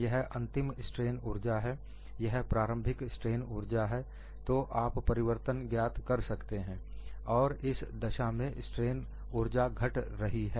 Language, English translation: Hindi, This is the final strain energy, this is the initial strain energy, so the change is what you find here, and in this case the strain energy decreases